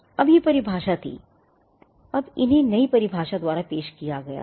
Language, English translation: Hindi, Now, these were definition, now these were introduced by the new definition